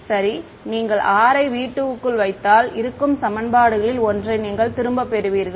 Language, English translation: Tamil, Well yeah if you put r insider v 2 you will get back one of the equations you are